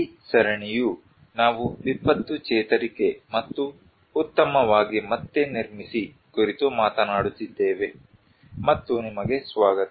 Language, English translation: Kannada, This series we are talking on disaster recovery and build back better and you are welcome